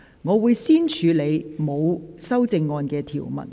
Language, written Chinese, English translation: Cantonese, 我會先處理沒有修正案的條文。, I will first deal with the clauses with no amendment